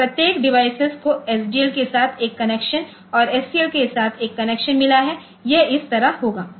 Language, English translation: Hindi, So, every device has got one connection to SDL and one connection to SCL, it will have like this